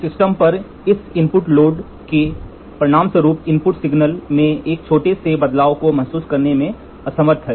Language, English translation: Hindi, This input load on the system resulting in the system being unable to sense a small change in the input signal